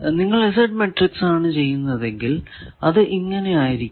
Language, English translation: Malayalam, If you do the Z matrix will be like this